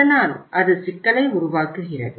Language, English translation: Tamil, So that creates the problem